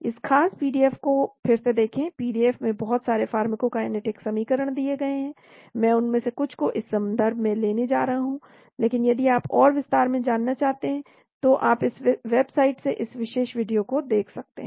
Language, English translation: Hindi, There are again please look at this particular PDF, a lot of pharmacokinetic equations given in the PDF, I am going to adapt some of them from this reference, but if you want to go more in detail you can look into this particular video from this website